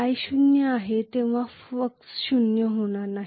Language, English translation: Marathi, So I will not have, when i is zero, the flux will not be zero